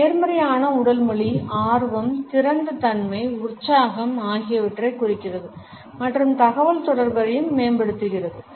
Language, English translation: Tamil, A positive body language indicates interest, openness, enthusiasm and enhances the communication also